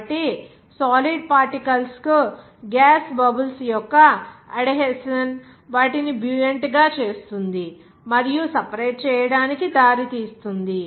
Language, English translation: Telugu, So that, adhesion of gas bubbles to the solid particles make them buoyant and result in separation